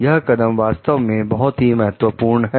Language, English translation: Hindi, This step is really very important